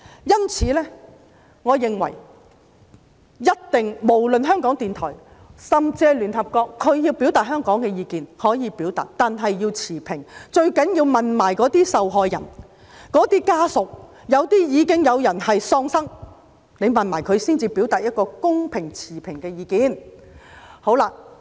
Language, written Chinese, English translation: Cantonese, 因此，我認為無論是港台或是聯合國，它們要表達對香港的意見，可以表達，但要持平，最重要的是，要一併詢問那些受害人和家屬，有一些人已喪生，要一併詢問他們的家屬才能表達一個公平及持平的意見。, Hence in my opinion when RTHK or the United Nations wants to express its views on Hong Kong it is free to do so but that it has to be impartial . Most importantly it has to consult the victims and their family members . Since some people have lost their lives it also needs to consult their family members before it can express any fair and impartial views